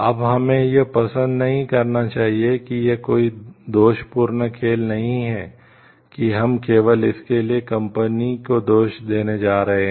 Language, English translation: Hindi, Now, we should not like it is not a blame game that we are going to blame the company only for it